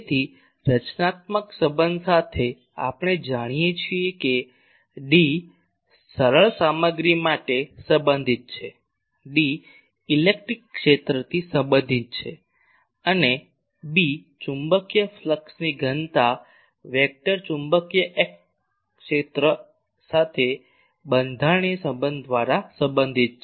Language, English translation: Gujarati, So, with the constitutive relation, we know that D is related to for simple materials D is related do the electric field, and B the magnetic flux density vector is related to the magnetic field by the constitutive relation